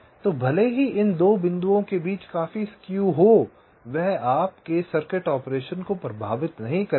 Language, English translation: Hindi, so even if there is a considerable skew between these two points that will not affect your circuit operation